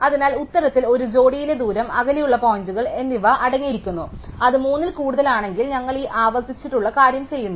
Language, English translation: Malayalam, So, the answer consists of the distance and a pair, the points which are at the distance, if it is more than 3 then we do this recursive thing